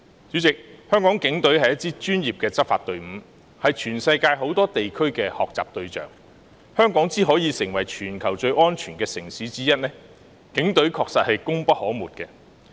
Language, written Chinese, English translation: Cantonese, 主席，香港警隊是一支專業的執法隊伍，是全世界很多地區的學習對象，香港能成為全球最安全的城市之一，警隊確實功不可沒。, President the Hong Kong Police Force are a professional law enforcement team . It is the role model of many places around the world . The Police Force really deserve credit for making Hong Kong one of the safest cities in the world